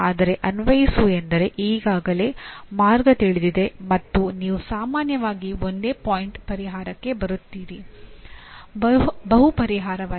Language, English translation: Kannada, Whereas apply is strictly you already the path is known and you generally come to a single point solution, not multiple solution